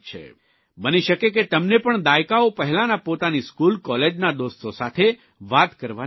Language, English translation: Gujarati, It's possible that you too might not have gotten a chance to talk to your school and college mates for decades